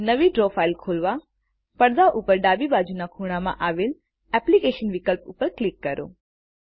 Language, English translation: Gujarati, To open a new Draw file, click on the Applications option at the top left corner of the screen